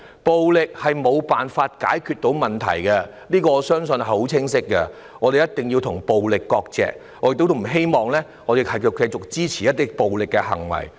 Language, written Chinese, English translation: Cantonese, 暴力無法解決問題，我相信這是十分清晰的，我們一定要與暴力割席，我不希望我們的同事會繼續支持暴力行為。, I believe this is loud and clear . We must distance ourselves from violence . I do not hope Honourable colleagues will continue to support violent acts